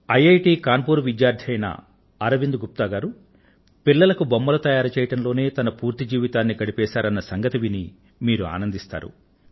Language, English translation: Telugu, It will gladden your heart to know, that Arvind ji, a student of IIT Kanpur, spent all his life creating toys for children